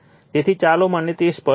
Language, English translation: Gujarati, So, let me clear it